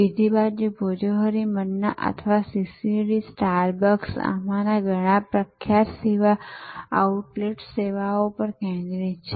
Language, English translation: Gujarati, On the other hand, Bhojohori Manna or CCD, Starbucks, many of these famous service outlets, they are focussed of the services